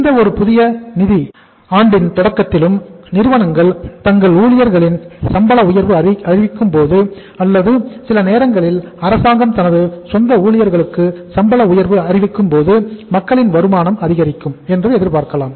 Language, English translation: Tamil, Then say in the in the beginning of any new financial year when the companies say announce the hike in the salary of their employees or sometimes when the government announces the hike in the salary of its own employees we can expect that the income of the people go up